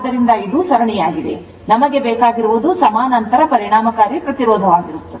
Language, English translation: Kannada, So, this is series, what we want is parallel equivalent right